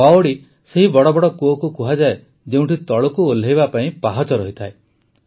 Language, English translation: Odia, The Baolis are those big wells which are reached by descending stairs